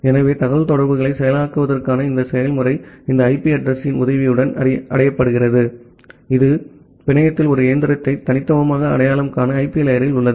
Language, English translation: Tamil, So, this process to process communication is achieved with the help of this IP address, which is there at the IP layer to uniquely identify a machine in the network